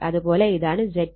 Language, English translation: Malayalam, And this is my Z 2